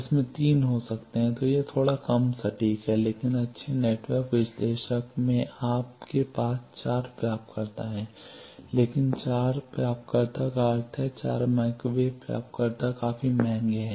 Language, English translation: Hindi, It can have 3 then that is a bit less accurate, but in good network analyzer you have 4 receivers, but 4 receivers' means obviously, 4 microwave receivers are quite costly